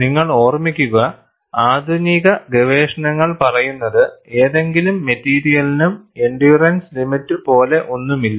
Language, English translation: Malayalam, And you have to keep in mind, the modern research says, there is nothing like endurance limit for any material